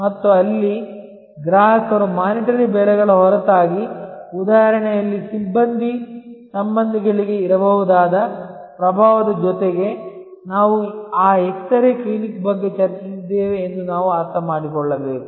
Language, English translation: Kannada, And there, we have to understand that, in customers mind besides the monitory prices, besides the influence that can be there for personnel relationships from the example, we discussed of that x ray clinic